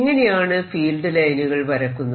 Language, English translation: Malayalam, they look like this: how do you plot the field lines